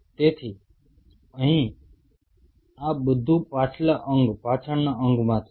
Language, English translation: Gujarati, So, here also this is all from the hind limb, hind limb